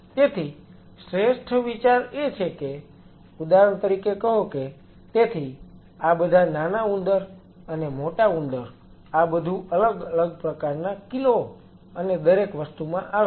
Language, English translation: Gujarati, So, the best idea is that say for example, So, the all these rats and mice everything comes in different kind of kgs and everything